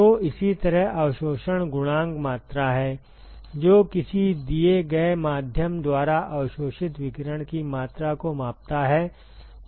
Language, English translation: Hindi, So, similarly absorption coefficient is the quantity, which quantifies the amount of radiation that is absorbed by a given some given medium